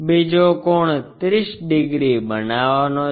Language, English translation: Gujarati, The other angle supposed to make 30 degrees